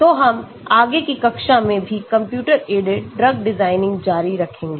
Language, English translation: Hindi, so we will continue further on the computer aided drug design in the next class as well